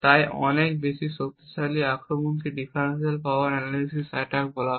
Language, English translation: Bengali, So, now let us look at the differential power analysis attack